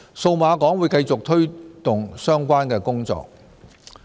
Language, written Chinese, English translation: Cantonese, 數碼港會繼續推動相關的工作。, Cyberport will continue to promote the relevant work